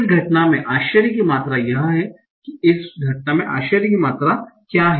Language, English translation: Hindi, So, so entropy measures what is the amount of surprise in this event